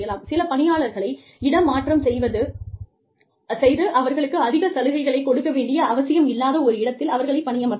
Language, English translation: Tamil, You could transfer some employees, and put them in places, where you do not have to give them, so many benefits